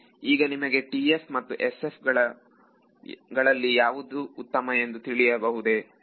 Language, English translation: Kannada, So, now do you can you answer which is better between TF and SF